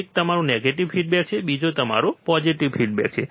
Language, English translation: Gujarati, One is your negative feedback, another one is your positive feedback